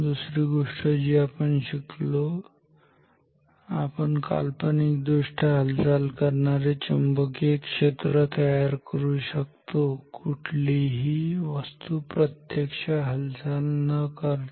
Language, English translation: Marathi, Another phenomena which we have studied is that we can create virtually moving magnetic fields without moving any physical object ok